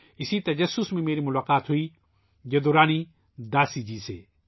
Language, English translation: Urdu, With this curiosity I met Jaduarani Dasi ji